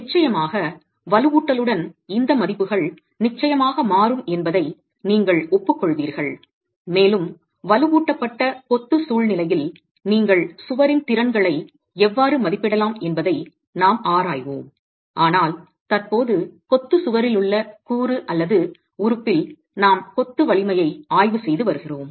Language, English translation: Tamil, Of course you will agree that with reinforcement these values will of course change and we will examine how in a reinforced masonry situation you can estimate capacities of the wall but currently we are examining the strength of masonry and now in the component or the element which is the masonry wall itself